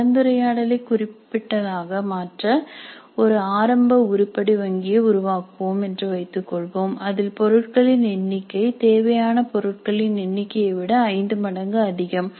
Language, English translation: Tamil, All kinds of variations are possible but in order to make the discussion specific let us assume that we will create an initial item bank in which the number of items is 5 times the required number of items